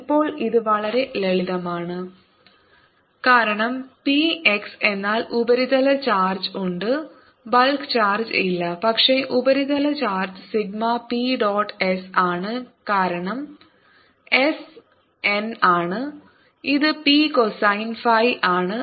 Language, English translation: Malayalam, now, this is a very simple, because p x means there is a surface charge, there is no bulk charged, but the surface charge sigma is p dot s, because s n, which is p cosine of phi